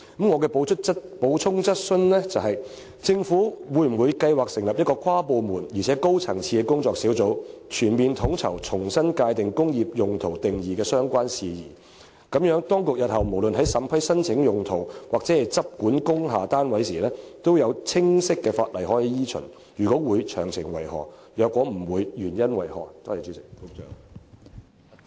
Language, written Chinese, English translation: Cantonese, 我的補充質詢是，政府會否計劃成立一個跨部門及高層次的工作小組，全面統籌重新界定"工業用途"一詞定義的相關事宜，令當局日後不論在審批申請用途或執管工廈單位時，也有清晰法例可以依循；若會，詳情為何；若否，原因為何？, My supplementary question is Will the Government establish a high - level interdepartmental working group to comprehensively coordinate the work of redefining the term industrial use and its related matters so that in future the authorities will have clear legislation to follow when they process applications for land use modifications or take enforcement actions against industrial buildings? . If it will what are the details? . If it will not what are the reasons?